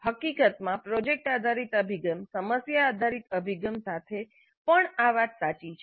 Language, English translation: Gujarati, In fact same is too even with product based approach problem based approach